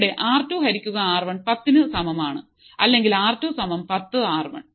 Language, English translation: Malayalam, So, R2 by R 1 equals to 10 or R2 would be equal to 10 times R1 right